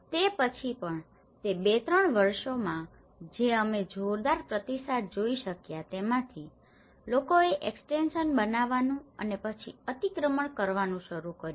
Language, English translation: Gujarati, On but then, from the two findings which we could able to see a tremendous responses in those two three years, people started building extensions and then encroachments